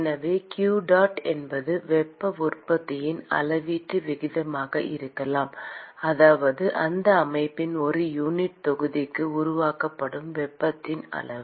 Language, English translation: Tamil, So qdot could be the volumetric rate of heat generation, that is the amount of heat that is generated per unit volume of that system